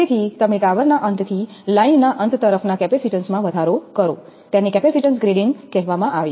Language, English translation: Gujarati, So, you increase the capacitor from the tower end towards the line end, so that is called capacitance grading